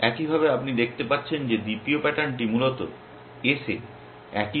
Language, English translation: Bengali, Likewise as you can see the second pattern is also the same suit in play S, suit in play S